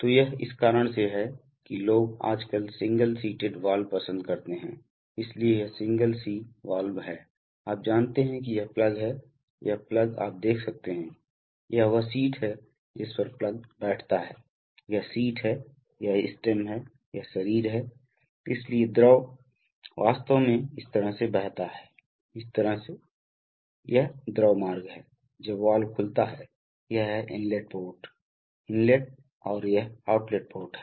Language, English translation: Hindi, So it is for this reason that people nowadays prefer single seated valves, so this is a single seated valve, you know you this is the plug, this is the plug you can see that, this is the seat on which the plug sits, this is the seat, this is the stem, this is, these are the bodies, this is the body, so the fluid actually flows like this, like this, like this, so this is the fluid path when the valve opens, this is the inlet port, Inlet and this is the outlet port